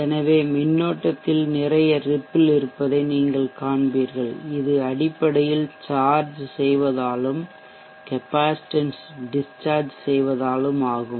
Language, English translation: Tamil, So you will see that there is lot of repel in the current, this is basically because of charging, discharging of the capacitance